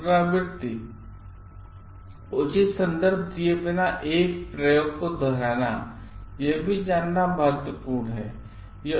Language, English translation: Hindi, Replication, repeating an experiment without giving due credit; this part is important